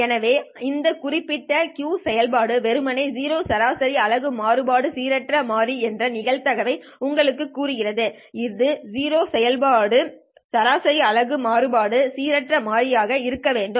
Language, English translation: Tamil, So this particular Q function is simply telling you the probability that for a zero mean unit variance random variable, this has to be a zero mean unit variance random variable